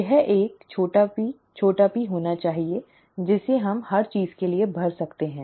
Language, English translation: Hindi, This one should also be small p small p, that we can fill in for everything